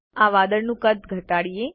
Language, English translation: Gujarati, Let us reduce the size of this cloud